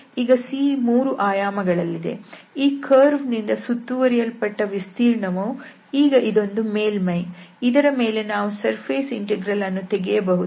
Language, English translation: Kannada, So, now the C is in this space and this the area bounded by this curve, which is a surface now, we can do the surface integral and this N was the normal to the surface